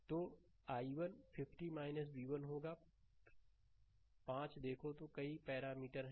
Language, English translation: Hindi, So, i 1 will be 50 minus v 1 by 5 look so many parameters are there